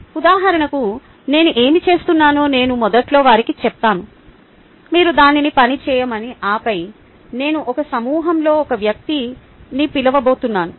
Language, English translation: Telugu, for example, what i do is i tell them right in the beginning that you work it out and then i am going to call one person in a group